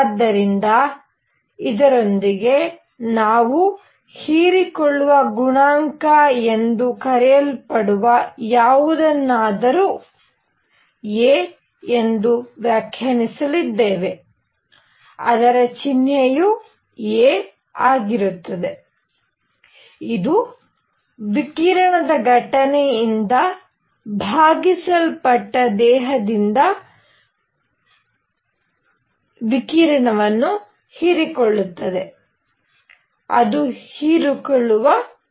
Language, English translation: Kannada, So with this, we are going to define something called the absorption coefficient which is a; symbol is a, which is radiation absorbed by a body divided by radiation incident on it; that is the absorption coefficient